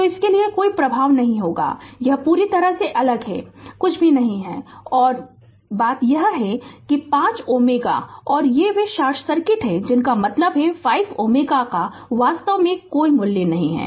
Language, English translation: Hindi, So, there will be no effect for this one it is completely isolated right nothing is there and thing is this 5 ohm and your this they it is short circuit; that means, this 5 ohm actually has no value right